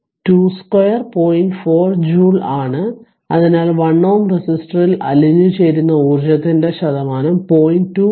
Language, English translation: Malayalam, 4 joule right therefore, the percent of energy dissipated in the 1 ohm resistor is that is 0